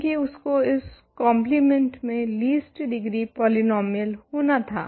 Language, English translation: Hindi, We chose this to be the least degree polynomial